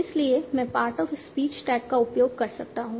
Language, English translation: Hindi, So I might use the part of speech tag